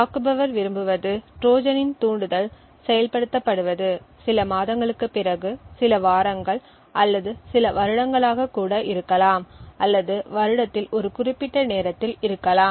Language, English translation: Tamil, The attacker want that the Trojan’s trigger gets activated may say after a few months a few weeks or maybe even a few years or maybe at a specific time during the year